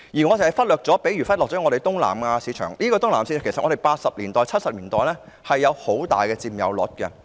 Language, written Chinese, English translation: Cantonese, 我們忽略了東南亞市場，但東南亞市場在七八十年代的市場佔有率其實很大。, We have neglected the Southeast Asian market but the market share of this market was actually quite large in the 1970s and 1980s